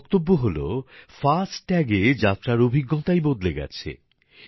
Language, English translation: Bengali, She says that the experience of travel has changed with 'FASTag'